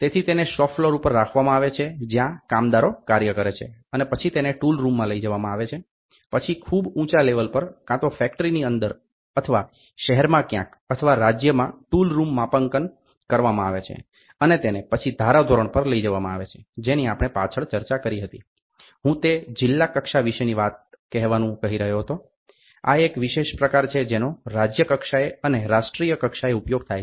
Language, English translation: Gujarati, So, this is at shop floor where operator works, then it is taken to a tool room then the tool room is getting calibrated at a higher end either inside the factory or in the city somewhere or in the state, then it is taken to the standard like last time we discussed I was trying to talk about tell this is district level, this is state level and this is country level and this is a special type which is used